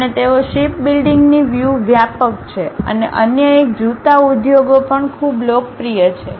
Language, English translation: Gujarati, And, they are widespread in terms of shipbuilding and the other one is shoe industries also is quite popular